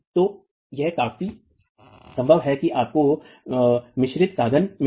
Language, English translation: Hindi, So this is quite possible that you get mixed modes